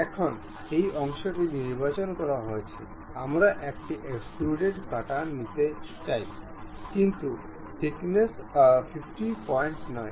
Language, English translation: Bengali, Now, this part is selected; we would like to have extrude cut, but some thickness not up to 50